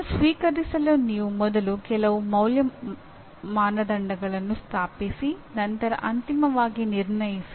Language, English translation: Kannada, That is for accepting it you first establish some value criteria and then finally judge